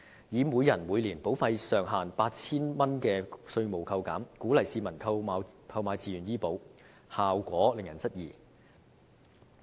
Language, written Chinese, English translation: Cantonese, 以每人每年保費上限 8,000 元的稅務扣減，鼓勵市民購買自願醫保，效果令人質疑。, With regard to offering tax deduction for paid premiums up to 8,000 per insured person per year as an incentive for the public to take out health insurance voluntarily its effectiveness is open to question